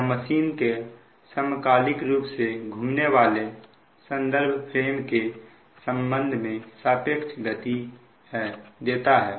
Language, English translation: Hindi, it gives the relative speed of the machine with respect to the synchronously revolving reference frame